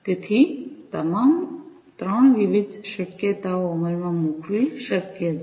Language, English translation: Gujarati, So, all the 3 different possibilities are possible to be implemented